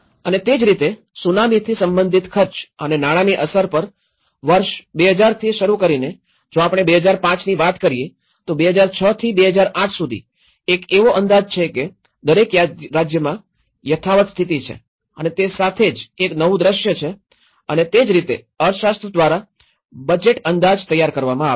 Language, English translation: Gujarati, And similarly, on the impact of Tsunami related expenditures and finances, it also goes from the 2000 year wise and when we talk about 2005, that is 2006 to 2008 there is a projection that each state has status quo scenario and as well as the new scenario and that is how the budget estimates are prepared by the economist